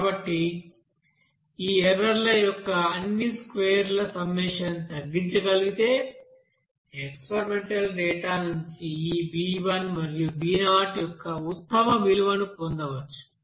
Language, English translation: Telugu, So summation of all square of these errors if you can minimize then you can get that you know best value of this b 1 and b 0 from the experimental data